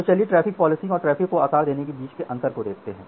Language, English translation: Hindi, So, let us look into the difference between traffic policing and traffic shaping